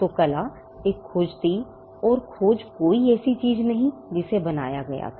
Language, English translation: Hindi, So, art was a discovery and discovery is not something that was created